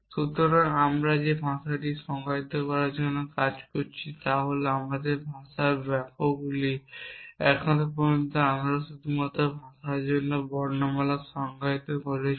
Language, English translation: Bengali, So, the language we are working towards defining what is the sentences in our language so far we have only define the alphabet for the language